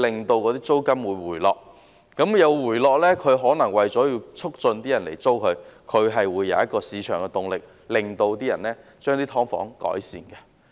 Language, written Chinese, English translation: Cantonese, 當租金回落時，業主為了促使更多人租住，便會有市場動力，令他們對"劏房"作出改善。, When the rent comes down and as the landlords want to encourage more people to rent their units they will be driven by the market to make improvements to the subdivided units